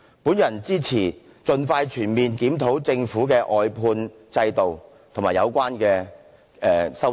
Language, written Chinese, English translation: Cantonese, 我支持盡快全面檢討政府的外判制度及有關修正案。, I support conducting a comprehensive review of the outsourcing system of the Government expeditiously and the relevant amendments